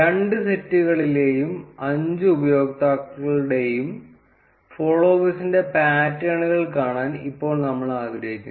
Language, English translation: Malayalam, Now we would like to see the friends to followers' patterns of all the five users in each of the two sets